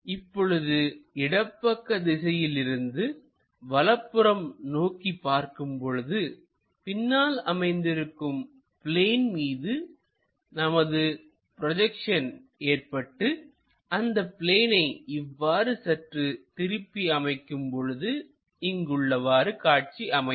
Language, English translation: Tamil, If we are looking from left direction towards right direction, having a plane whatever the projections we are going to get onto that plane, if I flip that plane the way how it looks like is this